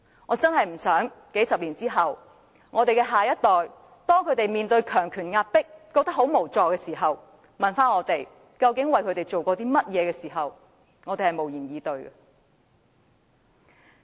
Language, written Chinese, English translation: Cantonese, 我實在不希望在數十年後，當我們的下一代面對強權壓迫而感到無助，反問我們究竟為他們做過甚麼時，我們會無言以對。, I really do not want to see a situation where several decades later we remain stuck for words when our next generation feels helpless against authoritarian oppression and questions what we have actually done for them